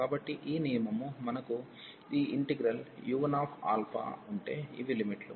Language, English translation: Telugu, So, this rule says if we have this integral u 1 alpha, so these are the limits